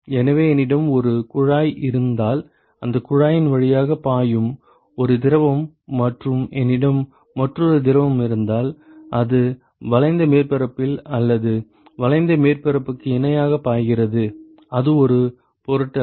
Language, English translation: Tamil, So, suppose if I have if I have a tube, where I have a fluid which is flowing through this tube and I have another fluid, which is either flowing along the curved surface or parallel to the curved surface it does not matter